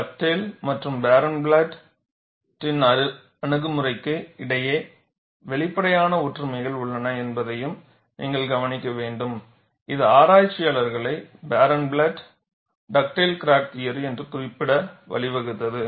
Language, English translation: Tamil, And you will also have to note, that there are obvious similarities between the approach of Dugdale and Barenblatt, which has led researchers to refer it as Barenblatt Dugdale crack theory